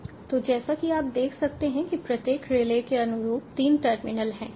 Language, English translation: Hindi, so, as you can see, there are three terminals corresponding to each relay